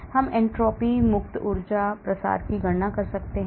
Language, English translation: Hindi, we can calculate entropies, free energies, diffusion